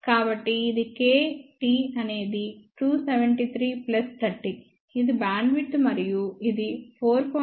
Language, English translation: Telugu, So, k is this, T is 273 plus 30, this is the bandwidth and this comes out to be 4